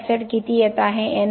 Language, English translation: Marathi, How much of SO2 is coming